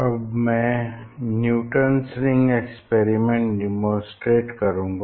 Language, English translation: Hindi, now I will demonstrate the experiment Newton s Rings Experiment